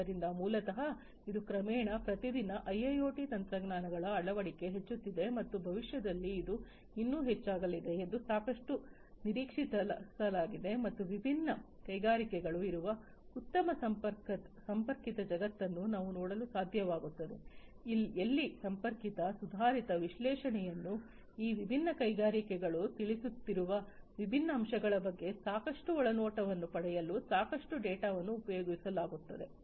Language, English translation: Kannada, And so, basically it is gradually, you know, every day the adoption of IIoT technologies is increasing and it is quite expected that in the future it is going to increase even further and we would be able to see a very well connected world, where different industries are connected advanced analytics are being carried on to get to mind in lot of data to get lot of insight about the different aspects, that these different industries are addressing